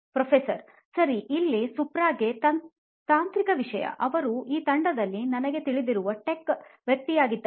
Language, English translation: Kannada, Okay, here is the tech question to you Supra, he is a tech guy I know in this team